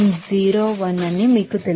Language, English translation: Telugu, You know that 0